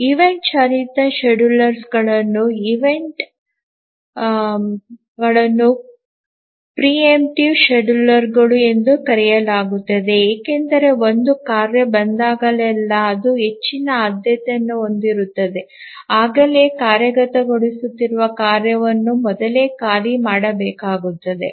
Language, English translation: Kannada, So, the event driven schedulers are also called as preemptive schedulers because whenever a task arrives and it has a higher priority then the task that's already executing needs to be preempted